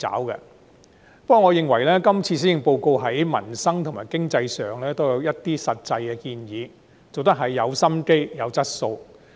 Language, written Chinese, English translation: Cantonese, 不過，我認為今次施政報告在民生和經濟上亦有一些實際建議，很用心，有質素。, However I consider the current Policy Address to be a dedicated high - quality piece of work because it has also offered some concrete proposals on peoples livelihood and the economy